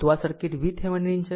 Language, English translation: Gujarati, That is your this circuit V Thevenin right